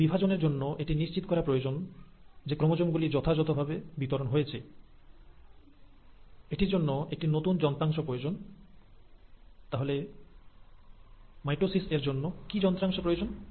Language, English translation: Bengali, But, for it to divide, and it has to, for it to ensure that the chromosomes get properly distributed, It needs a whole lot of new machinery, which is the machinery required for mitosis